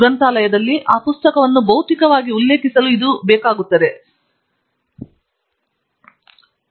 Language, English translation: Kannada, This is basically to physically be able to refer to that book in a library